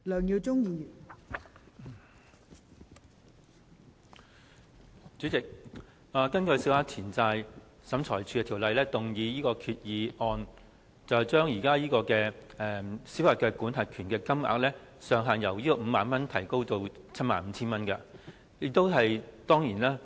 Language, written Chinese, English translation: Cantonese, 代理主席，政府根據《小額錢債審裁處條例》動議擬議決議案，將現時小額錢債審裁處民事司法管轄權的申索限額，由 50,000 元提高至 75,000 元。, Deputy President in the proposed resolution moved under the Small Claims Tribunal Ordinance the Government proposes to raise the jurisdictional limit of the Small Claims Tribunal SCT from 50,000 to 75,000